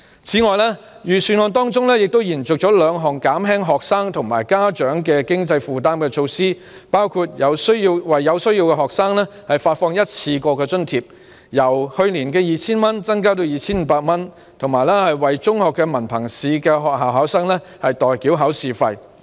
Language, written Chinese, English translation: Cantonese, 此外，預算案延續了兩項減輕學生和家長經濟負擔的措施，包括為有需要學生發放一次性津貼，津貼額亦由去年的 2,000 元增至 2,500 元，以及為中學文憑試學校考生代繳考試費。, Furthermore the Budget has continued to implement two measures to alleviate the financial burdens on students and parents which include providing to each student in need a one - off grant of 2,500 which has increased from 2,000 last year and paying the examination fees for school candidates sitting for the Hong Kong Diploma of Secondary Education Examination